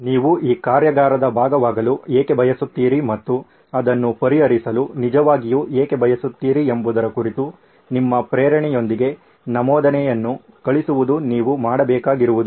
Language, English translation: Kannada, All you need to do is send in an entry with your motivation on why you want to be part of this workshop and what is it that really want to be solving it